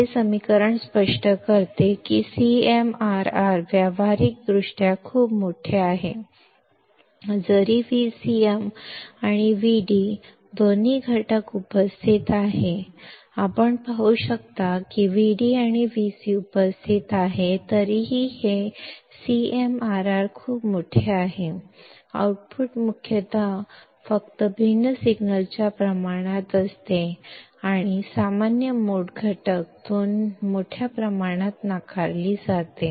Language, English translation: Marathi, This equation explains that a CMRR is practically very large, though both V c and V d components are present; you can see V d and V c are present, still this CMRR is very large; the output is mostly proportional to the different signal only and common mode component is greatly rejected